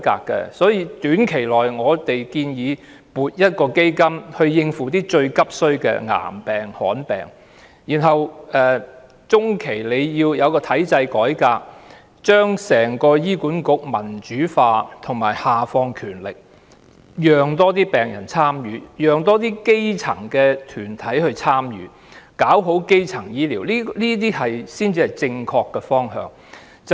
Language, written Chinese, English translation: Cantonese, 在短期內，我們建議先撥一項基金以應付最急需的癌病和罕見病，然後在中期需要進行體制改革，把醫管局民主化及下放權力，讓更多病人和基層團體能夠參與，做好基層醫療，這才是正確的方向。, In the short term we suggest allocating an amount from a fund to deal with cancer and rare diseases which are at the top priority . In the medium term a systemic reform will be warranted under which HA will be democratized and its powers devolved so that more patients and grass - roots organizations can be involved for the provision of better primary healthcare . This is the right direction